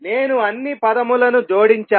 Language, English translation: Telugu, I have collected all the terms